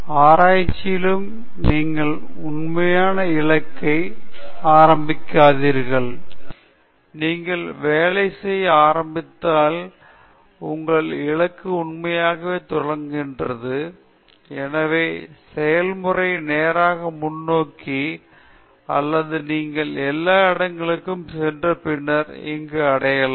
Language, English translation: Tamil, Even in research you don’t actually start with the fixed goal, your goal actually shows up as you start working hence the process is also not straight forward, you kind of go everywhere and then reach there